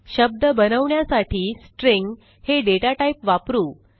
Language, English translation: Marathi, To create a word, we use the String data type